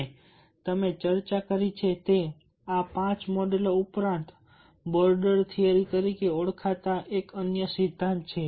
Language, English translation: Gujarati, and beyond this five models that you have discussed, there is another theory called the border theory